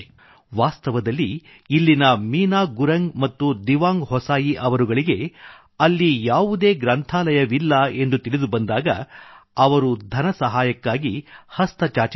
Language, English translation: Kannada, In fact, when Meena Gurung and Dewang Hosayi from this village learnt that there was no library in the area they extended a hand for its funding